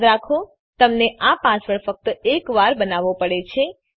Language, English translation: Gujarati, Remember you have to create this password only once